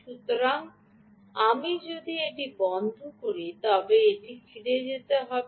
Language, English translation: Bengali, so if i close this, it should go back to zero